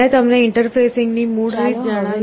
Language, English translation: Gujarati, I have told you the basic way of interfacing